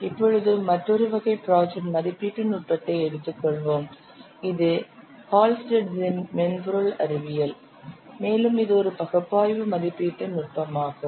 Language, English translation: Tamil, Now let's take another kind of project estimation technique that is Hullstead's Subtash Science which is an analytical estimation technique that is Hullstead's subter science which is an analytical estimation technique